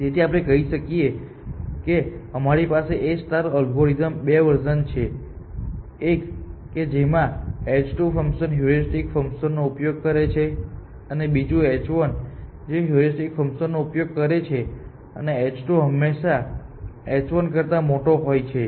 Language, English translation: Gujarati, So, let us say we have this two versions of a star algorithm 1 uses this h 2 function heuristic function the other uses the h 1 heuristic function and h 2 is always greater than h 1 of n we say that the h 2 is more inform than